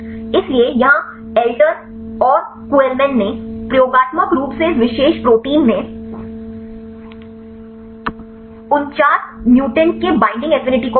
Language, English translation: Hindi, So, here Eletr and Kuhlman, they experimentally measured the binding affinity of 49 mutants in this particular protein right